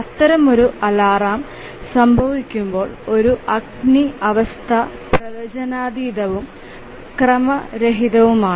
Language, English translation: Malayalam, So, when such an alarm will occur, a fire condition is unpredictable